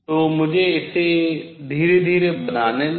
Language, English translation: Hindi, So, let me build it up slowly